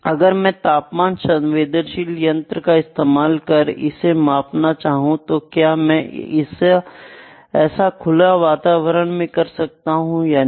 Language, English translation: Hindi, If I have to do some measurements using an instrument which is temperature sensitive can I do it in the open environment or not